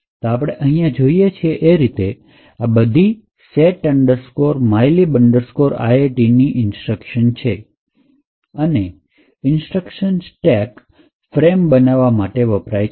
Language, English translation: Gujarati, So, as we see over here these are the instructions for set mylib int and the first two instructions creates the stack frame for that particular function